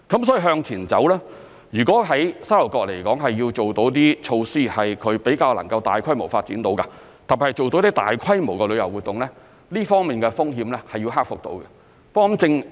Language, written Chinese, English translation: Cantonese, 所以向前走，如果在沙頭角要做某些措施讓其可以比較大規模發展，特別是做到大規模的旅遊活動，這方面的風險是要克服的。, Moving forward such risks must be overcome if certain measures have to be introduced in Sha Tau Kok for relatively large - scale development especially large - scale tourism activities